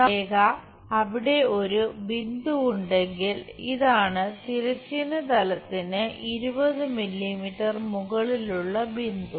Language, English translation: Malayalam, Let us ask a question there is a point A which is 20 millimetres above horizontal plane